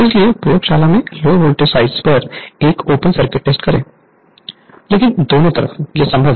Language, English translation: Hindi, That is why you perform open circuit test on thelow voltage side in the laboratory, But either side, it is possible